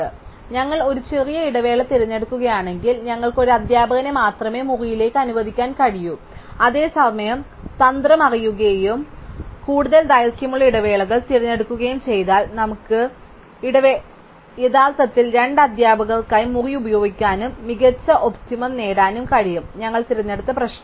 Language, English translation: Malayalam, So, if we choose a shortest interval then we can only allocate one teacher to the room, whereas if we know the strategy and if we choose the too longer intervals, then we can actually use the room for two teachers and get a better optimum for the problem that we have chosen